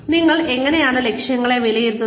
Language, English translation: Malayalam, How do you assess objectives